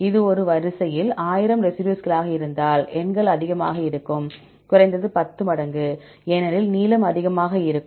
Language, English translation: Tamil, If it is 1,000 residues in a sequence then the numbers will be high, at least 10 times, because the length is more